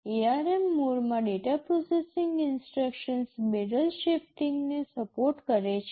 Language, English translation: Gujarati, Data processing instructions in ARM mode supports barrel shifting